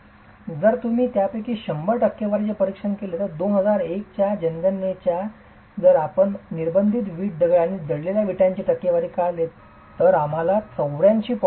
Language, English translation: Marathi, Now if you were to examine the percentages, out of 100% of these, if you add up the percentages of unburnt brick, stone and burnt brick for the 2001 census, we get a total of 84